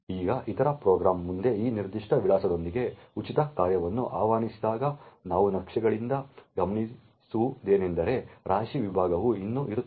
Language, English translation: Kannada, Now when other program next invokes the free function with that particular address, what we notice from the maps is that the heap segment is still present